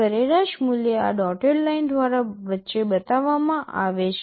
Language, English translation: Gujarati, The average value is shown by this dotted line in between